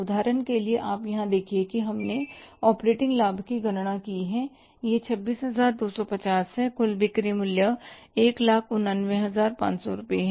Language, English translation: Hindi, Like see for example you look at here that we have calculated the operating profit this is 26,250 looking at the total sales value of 189,500 rupees